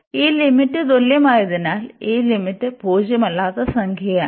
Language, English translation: Malayalam, So, now since this limit is same this limit is a non zero number